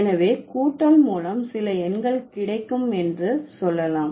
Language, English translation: Tamil, So, let's say we are getting some numeral by addition